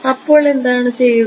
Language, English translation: Malayalam, So, what will we do